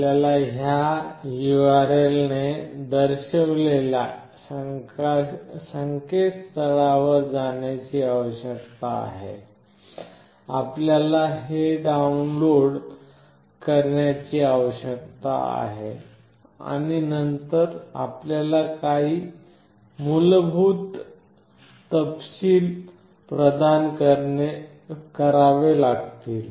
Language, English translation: Marathi, All you need to do is that you need to go this particular URL, you need to download this, and then you have to provide some basic details